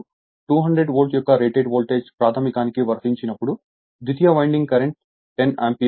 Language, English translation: Telugu, Now, when rated voltage of 200 Volt is applied to the primary a current 10 Ampere 0